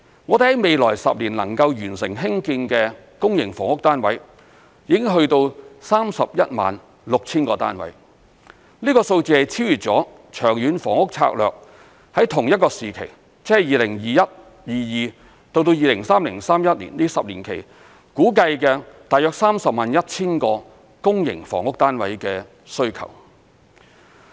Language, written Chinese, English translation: Cantonese, 我們在未來10年能夠完成興建的公營房屋單位已達到 316,000 個單位，這個數字超越了《長遠房屋策略》在同一個時期，即 2021-2022 至 2030-2031 年度這10年期，估計的大約 301,000 個公營房屋單位的需求。, The number of public rental housing PRH units to be completed in the next 10 years will reach 316 000 which has exceeded the demand for 301 000 PRH units estimated by the Long Term Housing Strategy in the same period that is in the 10 - year period from 2021 - 2022 to 2030 - 2031